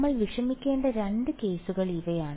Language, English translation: Malayalam, These are the 2 cases that we have to worry about